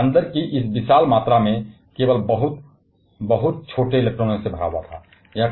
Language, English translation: Hindi, And these huge amount of space inside was occupied only by very, very tiny electrons